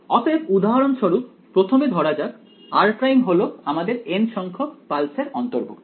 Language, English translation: Bengali, So, for example, r prime first let us say belongs to this let us say this is the nth pulse